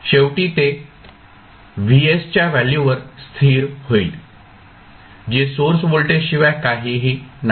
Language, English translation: Marathi, Finally, it will settle down to v value of vs which is nothing but the source voltage